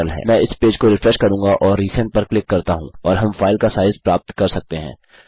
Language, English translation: Hindi, Ill refresh this page and click resend and we can get the size of the file